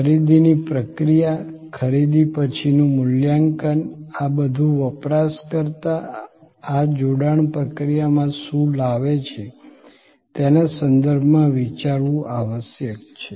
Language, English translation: Gujarati, The process of purchase, the post purchase evaluation, all must be thought of in terms of what the user brings to this engagement processes